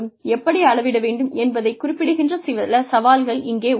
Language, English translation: Tamil, Some challenges here are, what to measure and how to measure